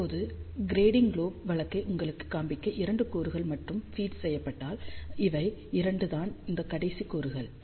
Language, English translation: Tamil, Now, just to show you the case of grating lobe, if only 2 elements are fed these are the 2 extreme elements